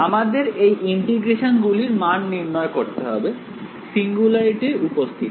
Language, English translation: Bengali, So, we have to do the evaluation of these integrals in the presence of a singularity